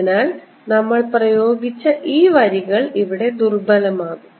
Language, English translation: Malayalam, so these lines that we applied are going to turn in, become weaker here